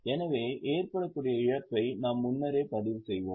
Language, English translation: Tamil, So, we will already record a loss which is likely to happen